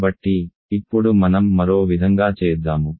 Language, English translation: Telugu, So, now let us go the other direction